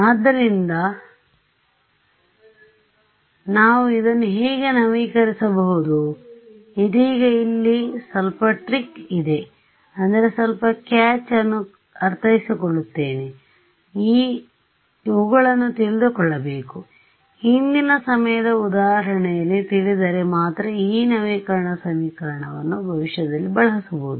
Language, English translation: Kannada, So, how can we update this there is a little bit of trick here now right I mean little bit of catch I need to know this guy to begin with only if I know it at a previous time instance can I use this update equation in the future